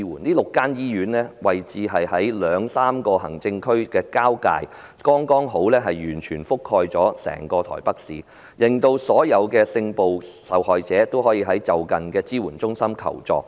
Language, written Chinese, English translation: Cantonese, 這6間醫院分別位於兩三個行政區的交界處，剛好完全覆蓋整個台北市，讓所有性暴力受害人均可前往就近的支援中心求助。, These six hospitals are located at the junction of two to three administration areas and the services they provide can cover the entire Taipei City making it possible for all sexual violence victims to seek assistance at a support centre nearby